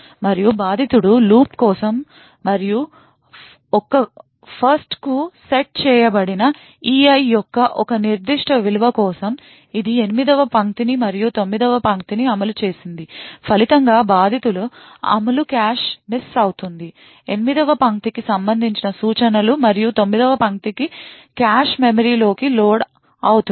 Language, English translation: Telugu, And the victim has executed this particular for loop and for a particular value of E I which was set to 1, it has executed line 8 and line 9 so as a result, the victims execution would result in a cache miss, instructions corresponding to line 8 and line 9 would get loaded into the cache memory